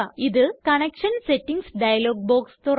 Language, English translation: Malayalam, This opens up the Connection Settings dialog box